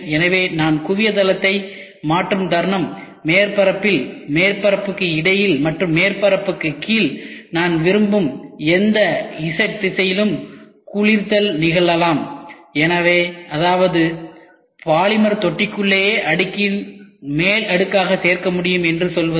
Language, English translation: Tamil, So, moment I change the focal plane, the curing can happen at the surface, in between the surface, below the surface at whatever z direction I want; that means, to say I can keep adding the layer by layer within the polymer tank itself